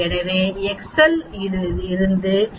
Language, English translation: Tamil, So, from excel we get 0